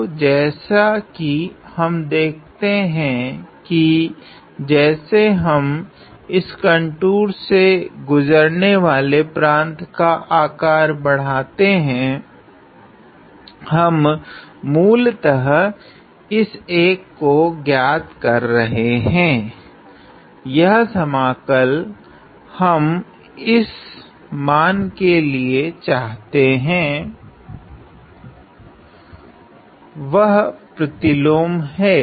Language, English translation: Hindi, So, as we can see that as we increase the size of this the domain encompassed by this contour, we are basically evaluating this one over; this integral over the value that we want that is the inverse